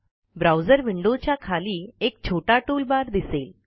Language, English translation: Marathi, A small toolbar appears at the bottom of the browser window